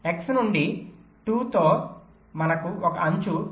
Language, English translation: Telugu, from x we have an edge two, point three